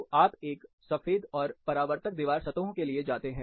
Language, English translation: Hindi, So, you go for white and reflective wall surfaces